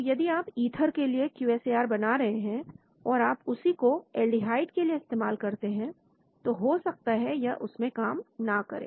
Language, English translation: Hindi, So your QSAR if you are developing for ethers if you extend it to aldehydes, sometimes it may not work